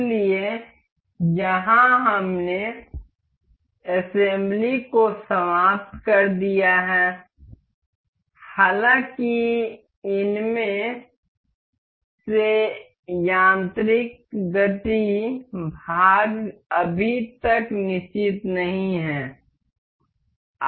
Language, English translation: Hindi, So, here we have finished this assembly so; however, the mechanical motion part of these is not yet fixed